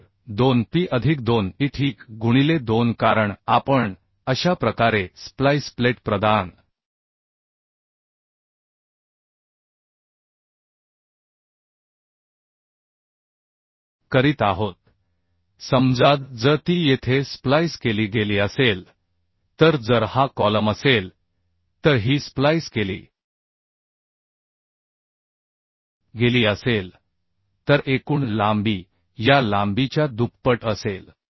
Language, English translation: Marathi, So 2P plus 2e ok into 2 because we are providing splice plate like this if it is spliced here if this is a column if this is spliced then uhh total length will be twice of this length